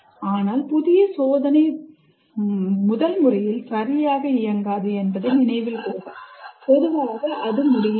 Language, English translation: Tamil, But note that new experiment does not necessarily work the first time